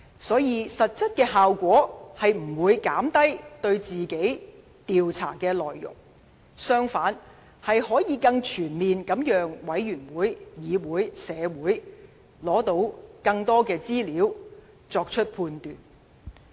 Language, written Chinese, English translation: Cantonese, 所以，實際效果並不是減低對他本身的調查，而是讓專責委員會、議會和社會得到更多資料，更全面地作出判斷。, Hence the actual effect is not limiting the scope of inquiry on him . Instead he has made it possible for the Select Committee the Council and the public to obtain additional information about the case so that a comprehensive judgment can be made